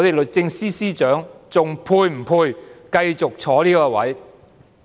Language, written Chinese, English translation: Cantonese, 律政司司長是否仍配繼續坐在這位置上呢？, Is the Secretary for Justice still worthy of this position?